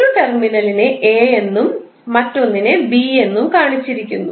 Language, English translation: Malayalam, One terminal is given as a, another as b